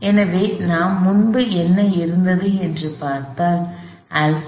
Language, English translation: Tamil, So, if I go back and see, what we had before alpha is minus sin theta